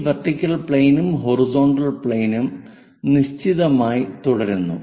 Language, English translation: Malayalam, This vertical plane, horizontal plane remains fixed